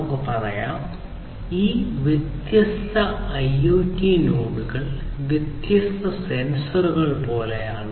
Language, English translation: Malayalam, So, let us say that we are talking about these different IoT nodes; these IoT nodes we will these are sort of like different sensors